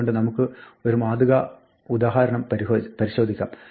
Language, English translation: Malayalam, So, let us look at a typical example